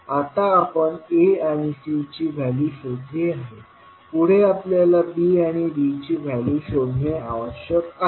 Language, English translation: Marathi, Now, next we have found the value of A and C, next we need to find out the value of B and D